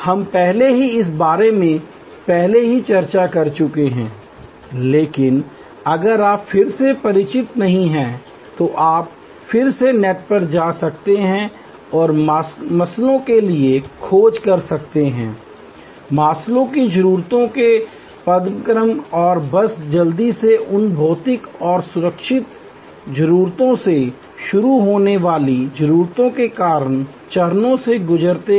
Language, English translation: Hindi, We have already briefly discuss this earlier, but if you are again not familiar, you can again go back to the net and search for Maslow, Maslow’s hierarchy of needs and just quickly go through those several stages of needs starting from physical and security needs going up to self actualization and the different kind of triggers that can happen for different kinds of services with respect to those needs